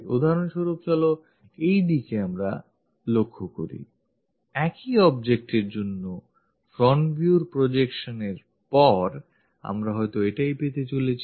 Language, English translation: Bengali, For example, let us look at this one, for the same object the front view, after projection, we might be getting this one